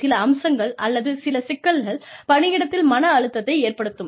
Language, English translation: Tamil, Some aspects, or some problems, that workplace stress, can cause us